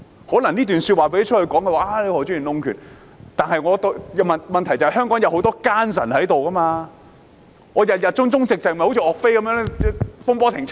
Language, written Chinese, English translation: Cantonese, 可能這段說話讓外界知道後，有人會說何俊賢議員弄權，但問題是香港有很多奸臣存在，我們如果保持忠直，便會好像岳飛般慘死風波亭。, Upon hearing my remarks some may accuse Mr Steven HO of manipulating power but the problem is that there are many turncoats in Hong Kong . If we remain loyal and upright we may end up like YUE Fei who was tragically executed at Fengbo Pavilion